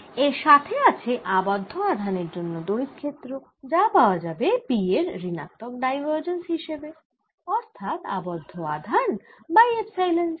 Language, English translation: Bengali, additionally, there is field due to the bound charges, so that's going to be given as minus divergence of p, that is, a bound charge over epsilon zero